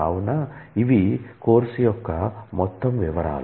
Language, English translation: Telugu, So, this is about the course overview